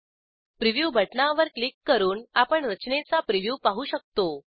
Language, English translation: Marathi, We can see the preview of our structure by clicking on the Preview button